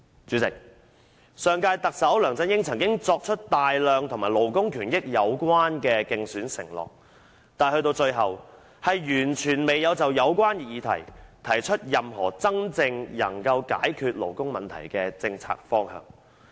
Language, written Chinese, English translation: Cantonese, "主席，上屆特首梁振英曾經作出大量與勞工權益有關的競選承諾，但最終完全未有就有關議題提出任何真正能夠解決勞工問題的政策方向。, President the last Chief Executive LEUNG Chun - ying had made a large number of election pledges relating to labour rights and interests but it eventually turned out that he has completely failed to suggest any policy direction that can truly resolve workers problems